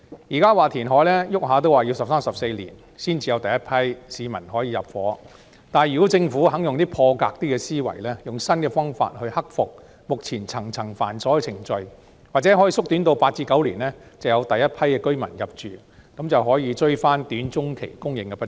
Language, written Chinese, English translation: Cantonese, 現時說填海動輒需要十三四年才可讓第一批市民入住，但如果政府願意用破格的思維，用新的方法克服目前層層繁瑣的程序，或許可以縮短至8至9年就讓第一批居民入住，可以追回短中期的供應不足。, The reclamation project under discussion now will take 13 to 14 years before the first batch of people may move in . However if the Government proceeds with a breakthrough mindset and a new approach to overcome the cumbersome procedures it can be shortened to eight to nine years before the first batch of residents may move in and thus compensate the shortfall in the supply in the short - to - medium term